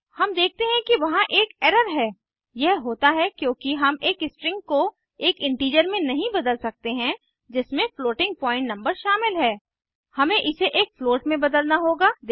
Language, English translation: Hindi, We see that there is an error This happens because we cannot convert a string which contains floating point number to an integer We have to convert it to a float.Let us see how to do so First data type should be float, Second we will use float